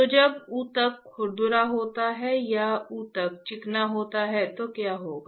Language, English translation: Hindi, So, when the tissue is rough or tissue is smooth, what will happen